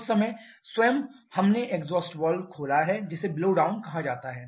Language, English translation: Hindi, That time itself we have opened the exhaust valve which is referred to as a blowdown